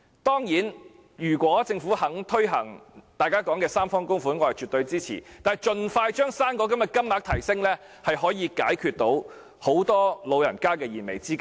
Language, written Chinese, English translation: Cantonese, 當然，如果政府願意推行大家提出的三方供款方案，我是絕對支持的，但盡快將"生果金"的金額提升，可以解決很多老人家的燃眉之急。, Certainly if the Government is willing to implement the tripartite contribution proposal made by us I will absolutely render it my support . But an expeditious increase in the rate of the fruit grant can address the pressing needs of many elderly people